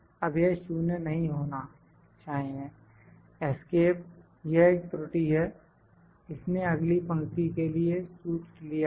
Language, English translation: Hindi, No, it should not be 0, escape, oh if this some error, I am picking the formula it has picked the formula for the next row